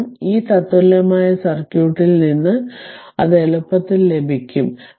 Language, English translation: Malayalam, Now, next that, because from this equivalent circuit you can easily get it right